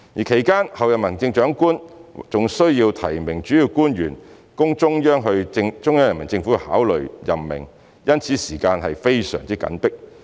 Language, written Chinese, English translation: Cantonese, 其間，候任行政長官還需要提名主要官員供中央人民政府考慮任命，因此時間非常緊迫。, The Chief Executive - elect also needs to nominate principal officials to the Central Peoples Government for appointment during the process so the time is very tight